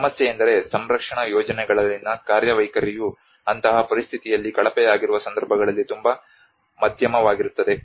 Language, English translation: Kannada, The problem is the workmanship in the conservation projects is very moderate at cases it is poor in such a situation